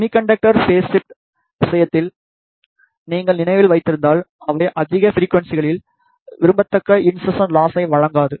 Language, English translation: Tamil, In case of semiconductor phase shifter, if you remember they do not provide the desirable insertion loss at higher frequencies